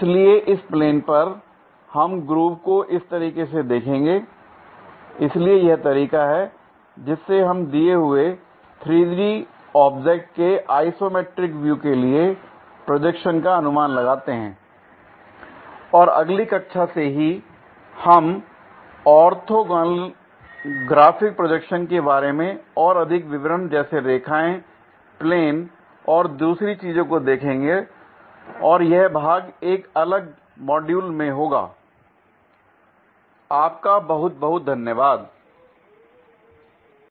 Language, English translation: Hindi, So, this is the way, we guess the projections for given 3D objects isometric views and in next class onwards, we will look at more details about Orthographic Projections like lines, planes and other things and that is part will be a separate module